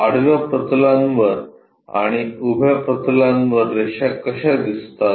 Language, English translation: Marathi, And how lines really appear on horizontal planes, and vertical planes